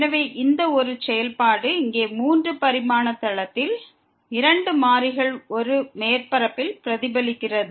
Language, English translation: Tamil, So, this a function of two variables in 3 dimensional plane here represents a surface